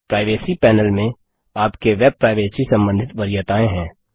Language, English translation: Hindi, The Privacy panel contains preferences related to your web privacy